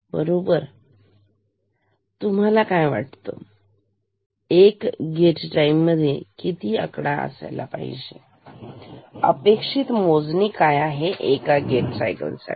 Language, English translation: Marathi, So, how many counts do you expect in one gate time; expected count in one gate cycle is how much